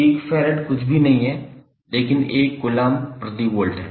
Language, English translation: Hindi, 1 farad is nothing but, 1 Coulomb per Volt